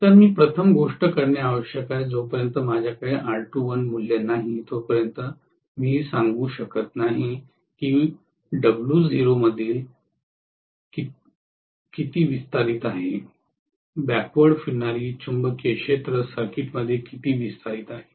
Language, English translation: Marathi, So, the first thing I need to do is unless I have the R2 dash value I cannot say how much is dissipated in among W naught, how much is dissipated in the backward revolving magnetic field circuit